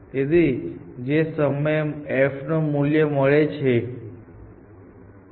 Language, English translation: Gujarati, So, the movement I the value of f, which is the